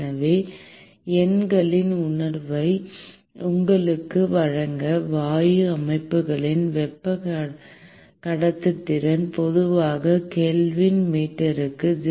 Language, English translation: Tamil, So, to give you a sense of numbers, the thermal conductivity of gas systems typically is in the order of magnitude of 0